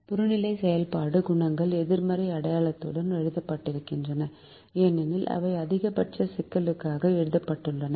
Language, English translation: Tamil, the objective function coefficients are written with a negative sign because they are written for a maximization problem